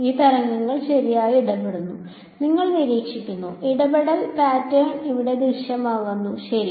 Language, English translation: Malayalam, These waves interfere right and you observe, interference pattern appears over here ok